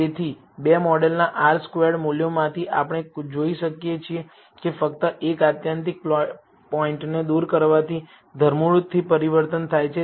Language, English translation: Gujarati, So, from the R squared values of the two model, we can see that there is a drastic change by just removing one extreme point